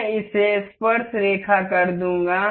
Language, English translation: Hindi, I will make it tangent